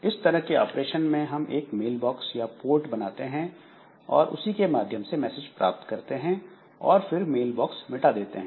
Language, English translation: Hindi, So, operations that we have, so create a new mailbox or port, send or receive messages through mailbox and delete a mailbox